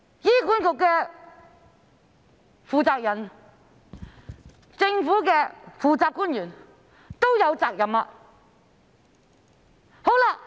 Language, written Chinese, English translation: Cantonese, 醫管局的負責人和政府的負責官員都有責任。, The people in charge of HA and the responsible government officials are all duty - bound to do so